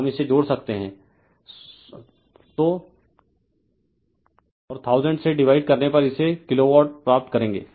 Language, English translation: Hindi, You add on we might by 1000 you will get it kilowatt right